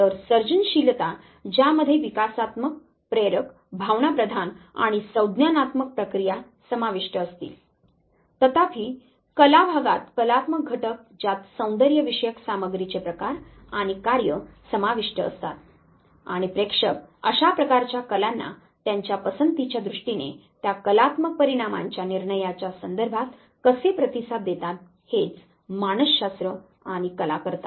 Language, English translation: Marathi, So, creativity which would include the developmental motivational affective and the cognitive processes whereas, the art part which would be including aesthetic content form and function how audience responds to such type of arts in terms of their preferences, in terms of the judgment of those artistic out comes, this is what psychology and the art does